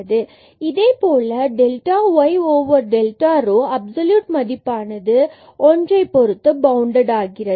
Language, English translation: Tamil, And similarly the absolute value of this delta y over delta rho is also bounded by 1